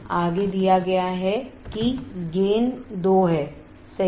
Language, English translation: Hindi, Further is given that gain is 2 right